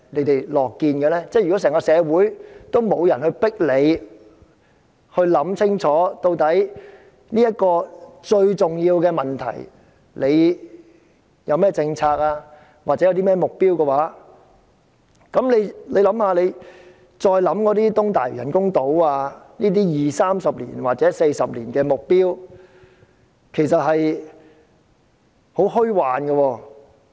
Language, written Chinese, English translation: Cantonese, 當整個社會都沒人迫使當局想清楚，對這個重要的問題應有何政策及目標的時候，我們再想想東大嶼人工島計劃，便覺得這類20年、30年或40年的目標其實是很虛幻的。, Is this situation really what the Government likes to see? . When no one in the entire community exerts pressure on the Government to consider carefully about the policies and targets to deal with this important issue the Governments introduction of the East Lantau artificial island programme makes us think that this kind of targets in 20 30 or 40 years time are actually very unrealistic